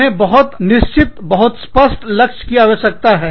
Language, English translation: Hindi, They need, very definitive, very clear focus